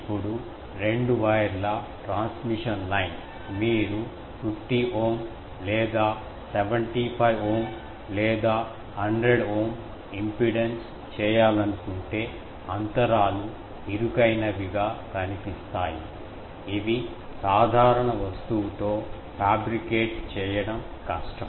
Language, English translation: Telugu, Now, two wire transmission line; if you want to make a 50 Ohm or 75 Ohm or even 100 Ohm impedance, then the gaps are show narrow that it is difficult to fabricate with normal day thing